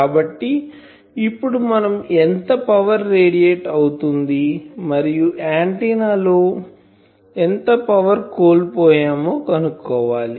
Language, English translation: Telugu, So, we can we want to find how much power is radiated and, how much power is lost in the antenna etc